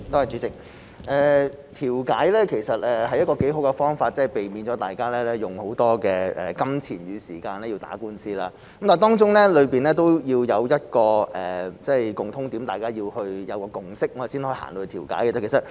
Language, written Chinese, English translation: Cantonese, 主席，調解其實是個很好的方法，避免大家用大量金錢與時間打官司，但當中需要一個共通點，大家要有共識，才能達成調解。, President mediation is actually a very good way to avoid spending a lot of money and time on lawsuits but it requires a common ground and both parties have to have a consensus before reaching a settlement by mediation